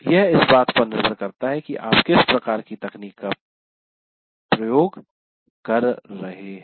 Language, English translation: Hindi, It depends on the kind of technology that you are using